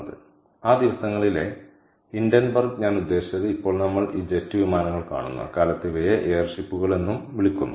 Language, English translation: Malayalam, ok, so hindenburg in those days i mean right now we see this jet planes in those days are also these things called air ships